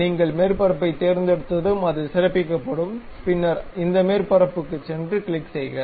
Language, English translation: Tamil, Once you select the surface it will be highlighted, then go to this surface, click